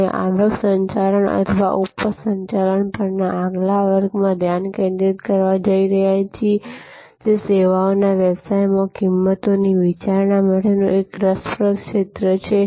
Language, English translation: Gujarati, We are going to focus in the next lecture on revenue management or yield management, an interesting area for pricing considerations in the services business